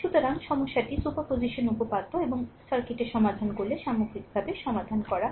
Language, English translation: Bengali, So, problem is solved right superposition theorem and your as a whole if you solve the circuit